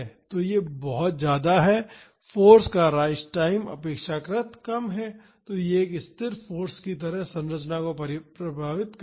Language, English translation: Hindi, So, this is very large the rise time of the force is relatively low and it will affect the structure like a static force